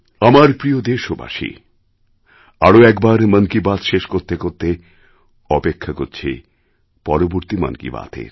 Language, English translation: Bengali, My dear countrymen, I'm fortunate once again to be face to face with you in the 'Mann Ki Baat' programme